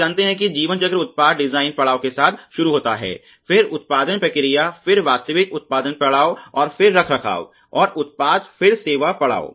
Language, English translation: Hindi, You know that the life cycle starts with the product design stage then with the production process design stage the actual production stage and then the maintenance and product service stage